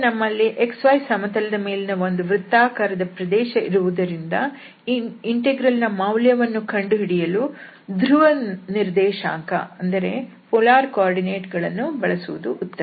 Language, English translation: Kannada, So, now since we have the circular disk on the xy plane, it is better to use the polar coordinates to compute this integral over this R here